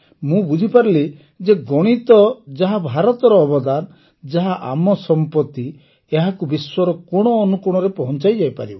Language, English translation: Odia, I understood that this subject, which is a gift of India, which is our heritage, can be taken to every corner of the world